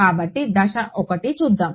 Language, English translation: Telugu, So, let us look at step 1 ok